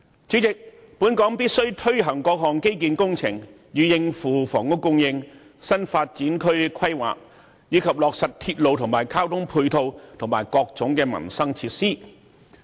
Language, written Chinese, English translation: Cantonese, 主席，本港必須推行各項基建工程，以應付房屋供應、新發展區規劃，以及落實鐵路、交通配套及各種民生設施。, Chairman Hong Kong must take forward various infrastructure works to cater for housing supply new development areas planning and to implement the construction of railways ancillary transport facilities and various livelihood facilities